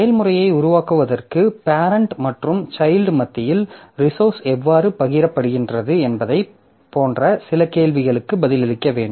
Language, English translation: Tamil, So, for creation of process, so we have to answer certain questions like how resources are shared among parent and child parents, child processes